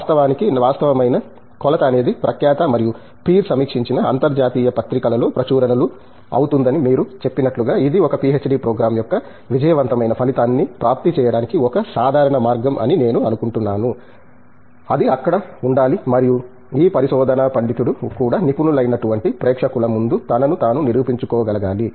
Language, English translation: Telugu, And of course, as you said the actual measure will be publications in reputed and in peer reviewed international journals, I think that’s a usual way of accessing successful outcome of a PhD program, that must be there to and also this research scholar must be able to present himself or herself before expert audience